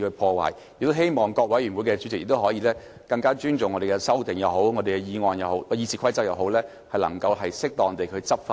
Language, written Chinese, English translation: Cantonese, 我亦希望各委員會的主席，可以更尊重經修訂的《議事規則》，能夠適當執行。, I hope that the chairmen of various committees will show greater respect of the amended RoP and enforce it effectively